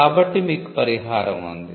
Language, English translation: Telugu, So, you have a remedy